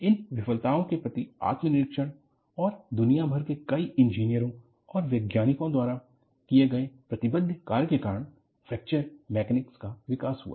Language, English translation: Hindi, So, introspection to these failures and committed work by several engineers and scientists across the world, led to the development of Fracture Mechanics